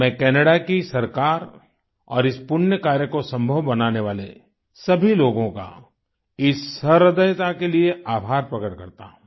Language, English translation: Hindi, I express my gratitude to the Government of Canada and to all those for this large heartedness who made this propitious deed possible